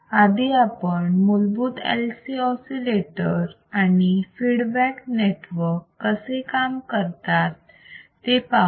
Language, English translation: Marathi, First let us see the basic LC oscillator and the feedback network and let us see how it works